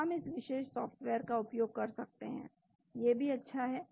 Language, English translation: Hindi, So, we can use this particular software is still good